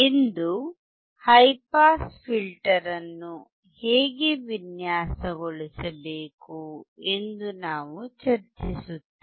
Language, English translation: Kannada, Today we will discuss how to design the high pass filter